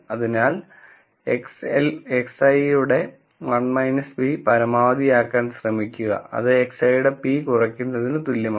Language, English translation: Malayalam, So, if we try to maximize 1 minus p of x i, then that is equivalent to minimizing p of x i